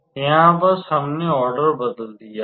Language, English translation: Hindi, It is just that we have changed the order